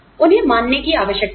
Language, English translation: Hindi, They need to be perceived